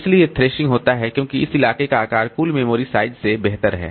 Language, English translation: Hindi, So, thrashing occurs because the size of this locality is greater than total memory size